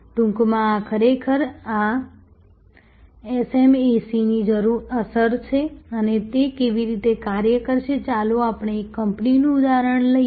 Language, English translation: Gujarati, This in short is actually the impact of this SMAC and how it will operate, let us take an example of a company